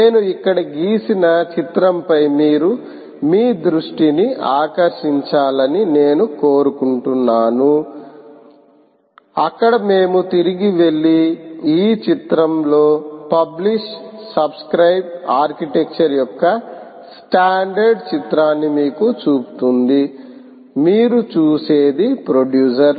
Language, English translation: Telugu, i want you to draw your attention to the picture i have drawn here where we go back and show you the standard picture of a publish subscribe architecture out